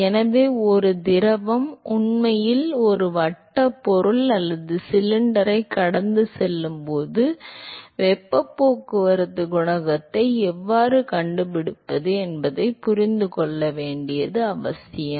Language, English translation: Tamil, And so, it is important to understand how to find heat transport coefficient when a fluid is actually flowing past a circular object or a cylinder